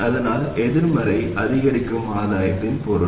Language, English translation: Tamil, So that is the meaning of negative incremental gain